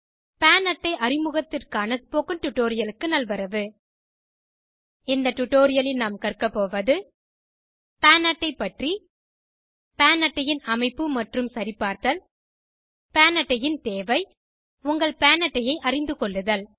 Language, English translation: Tamil, Welcome to the Spoken Tutorial on Introduction to PAN card In this tutorial we will learn About PAN card Structure and Validation of PAN card Need for a PAN card and To know your PAN card PAN stands for Permanent Account Number This is how a PAN Card looks like